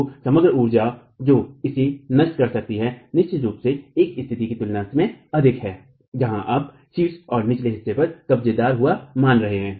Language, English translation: Hindi, So, the overall energy that it can dissipate is definitely higher than compared to a situation where you are assuming hinged hinge at the top and the bottom